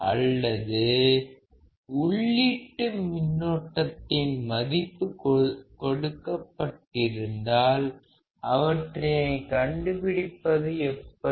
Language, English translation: Tamil, Or input currents when you are given then how can you determine those values